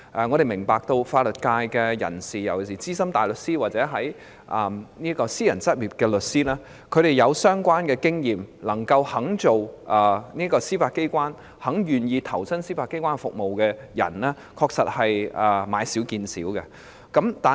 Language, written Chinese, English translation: Cantonese, 我們明白法律界的人事，尤其是資深大律師或私人執業律師，具相關經驗而能夠擔任司法機構的職位、願意投身司法機構並提供服務的人，確實是買少見少。, We understand the personnel situation in the legal sector . In particular senior counsels or solicitors in private practice with the relevant experience capable of assuming the positions in the Judiciary and willing to join and serve the Judiciary have indeed become a rarity